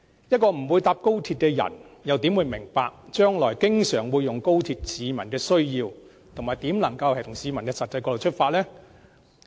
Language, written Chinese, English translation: Cantonese, 一個不會乘搭高鐵的人又怎會明白將來經常會乘坐高鐵的市民的需要，又怎能從他們的實際角度出發？, As they are not going to take the XRL how can they possibly understand the needs of those who will travel frequently by XRL and approach the issue pragmatically from the passengers perspective?